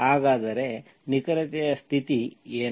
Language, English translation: Kannada, So what is the condition of exactness